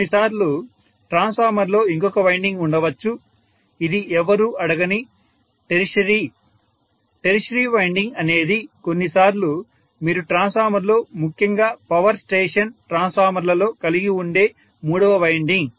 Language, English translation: Telugu, Sometimes there can be one more winding in the transformer which is no one asked tertiary, tertiary winding is the third winding sometimes you may have in a transformer in especially power station transformers